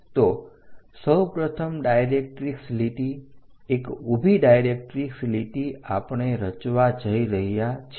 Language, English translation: Gujarati, So, first of all draw a directrix line a vertical directrix line we are going to construct